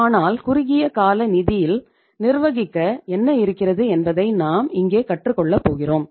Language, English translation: Tamil, So it means we are going to learn many things here that what is there to manage in the short term funds